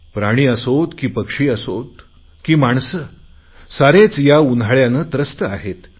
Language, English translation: Marathi, Be it animals, birds or humans…everyone is suffering